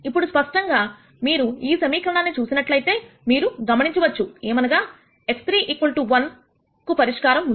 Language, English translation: Telugu, Now clearly when you look at this equation you will notice that x 3 equal to 1 has to be a solution